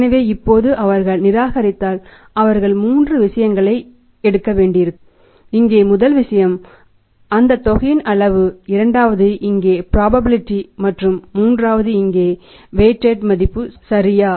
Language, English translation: Tamil, So, if they reject the credit what will happen now again they will have to take the three things and the first thing here is that is the amount, second here is the probability and third here is the weighted value right